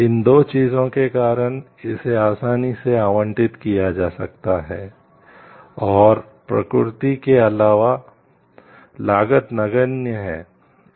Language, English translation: Hindi, Because of these 2 things like it can be easily appropriated, and cost of reproduction is negligible